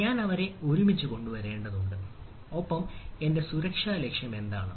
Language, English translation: Malayalam, i need to bring them together and ah have what is my security goal